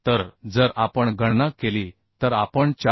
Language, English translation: Marathi, 1 so if we calculate we can find out 426